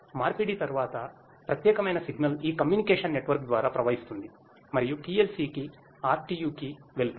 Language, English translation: Telugu, Then that particular signal after conversion flows through this communication network and goes to the PLC, to the RTU